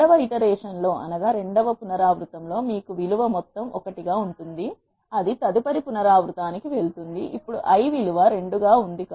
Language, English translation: Telugu, In the second iteration you have the value sum as one it will go to the next iteration; that is now the i value is 2